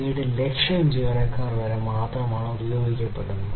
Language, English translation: Malayalam, 37 lakhs employees being used